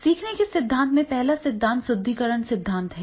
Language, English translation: Hindi, In learning theory, the first theory is the reinforcement theory